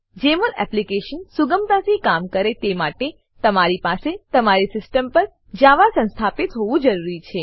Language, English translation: Gujarati, For Jmol Application to run smoothly, you should have Java installed on your system